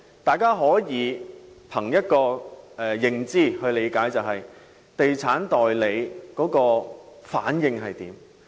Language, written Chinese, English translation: Cantonese, 大家可以憑認知去理解，就是觀察地產代理的反應。, Members may tell from their perception and that is by looking at the reaction of estate agents